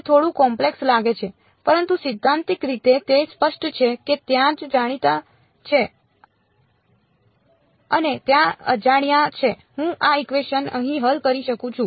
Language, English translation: Gujarati, It looks a little complicated, but in principle its clear there are knowns and there are unknowns I can solve this equation over here ok